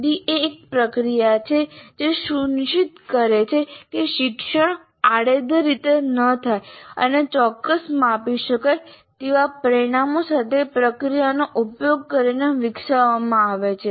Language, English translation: Gujarati, And ISD is a process to ensure learning does not have occur in a haphazard manner and is developed using a process with specific measurable outcomes